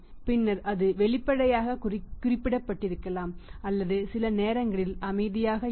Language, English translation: Tamil, Then it remains maybe sometime explicitly mentioned or sometime it remains silent